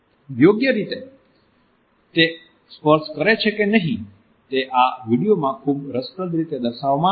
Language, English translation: Gujarati, The idea whether it touches appropriate or not is very interestingly displayed in this video